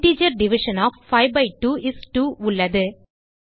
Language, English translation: Tamil, we have the integer Division of 5 by 2 is 2